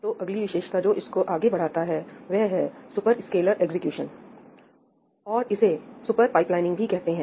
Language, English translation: Hindi, So, the next feature that pushes this a little further is Superscalar Execution, and it is also called Super Pipelining